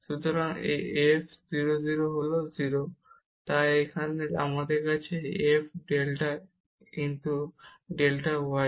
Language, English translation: Bengali, So, this f 0 0 is 0; so here we have f delta x delta y